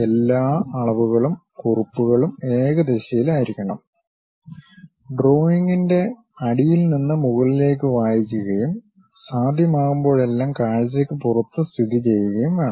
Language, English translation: Malayalam, All dimensions and notes should be unidirectional, reading from the bottom of the drawing upward and should be located outside of the view whenever possible